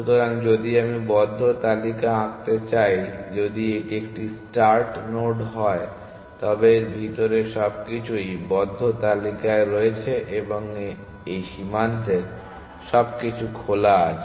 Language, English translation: Bengali, So, if I want to draw the close list if this is a start node then everything inside this is on the close list and everything on this frontier is open